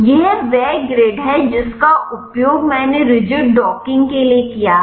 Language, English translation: Hindi, This is the gird I have used for the rigid docking